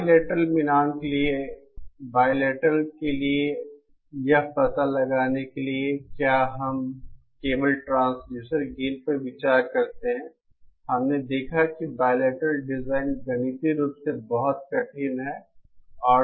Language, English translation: Hindi, For bilateral matching, for the bilateral for finding out the if we consider only the transducer gain we saw that bilateral design is mathematically very difficult